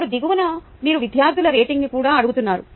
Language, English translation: Telugu, now at the bottom you are asking the students rating also